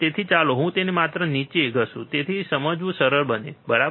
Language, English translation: Gujarati, So, let me just rub it down so, it becomes easy to understand, right